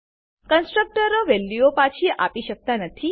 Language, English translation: Gujarati, Constructors cannot return values